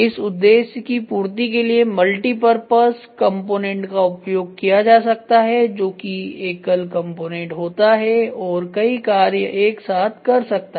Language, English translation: Hindi, To facilitate this objective multipurpose component may be used multipurpose component a single component which can do multiple jobs